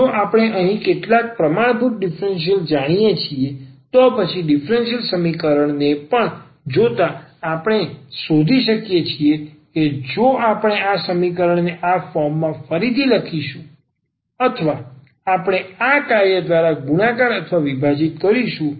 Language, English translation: Gujarati, So, if we know some standard differentials here, then looking at the differential equation also we can find that if we rewrite this equation in this form or we multiply or divide by this function